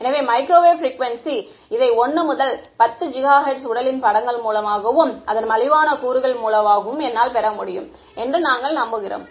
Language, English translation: Tamil, So, microwave frequencies in this 1 to 10 gigahertz we can hope that I can get through and through pictures of the body and components are cheap ok